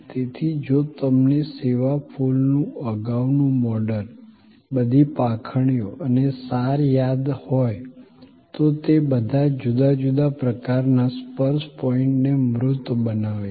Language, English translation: Gujarati, So, if you remember the earlier model of the service flower, all the petals and the core, they all embody different sort of touch points